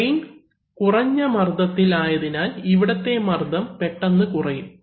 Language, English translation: Malayalam, So since the drain is at a low pressure, immediately pressure will fall